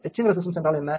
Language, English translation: Tamil, What is etch resistance